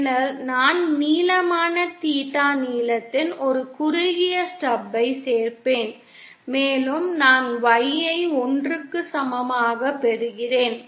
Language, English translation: Tamil, Then I add a shorted stub of length theta length and I get Y in equal to 1